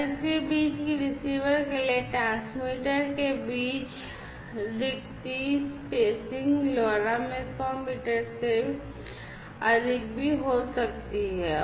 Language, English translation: Hindi, And that between that the spacing between the transmitter to the receiver could be more than even hundred meters in LoRa, right, so you could do that